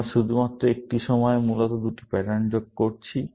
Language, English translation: Bengali, We are only joining two patterns at a time, essentially